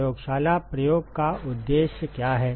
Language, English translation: Hindi, What is the purpose of the lab experiment